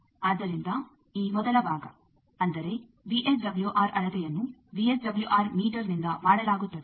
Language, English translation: Kannada, So, this first part; that means measurement of VSWR that is done by the VSWR meter